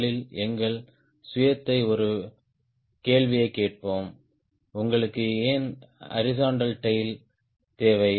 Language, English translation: Tamil, first of all, let us ask our self a question: why do you need horizontal tail